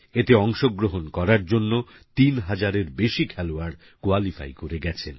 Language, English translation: Bengali, And more than 3000 players have qualified for participating in these games